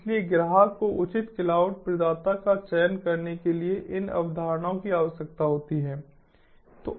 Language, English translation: Hindi, so these concepts are needed by the customer to select appropriate cloud provider